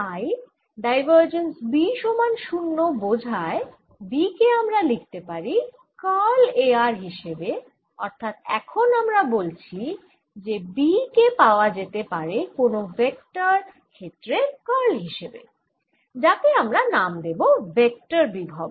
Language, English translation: Bengali, so divergence of b is zero implies where i can write b as curl of a, of r, and therefore now we can say that b can be obtained as the curl of another vector, field, a, which i am going to call the vector potential